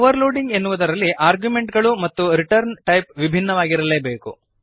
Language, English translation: Kannada, In overloading the arguments and the return type must differ